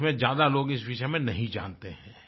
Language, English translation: Hindi, Not many people in the country know about this